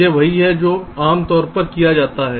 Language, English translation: Hindi, ok, this is what is normally done